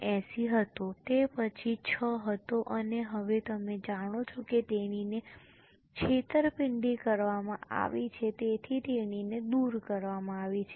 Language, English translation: Gujarati, 79, then 6, and now you know that she is held up in a fraud, so she has been removed